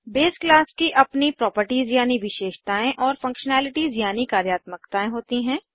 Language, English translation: Hindi, The base class has its own properties and functionality